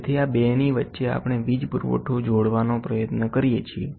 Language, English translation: Gujarati, So, between these 2 we try to attach, we try to attach to a power supply